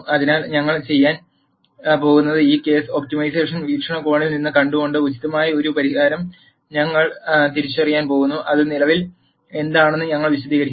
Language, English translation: Malayalam, So, what we are going to do is, we are going to identify an appropriate solution by viewing this case from an optimization perspective and I explain what that is presently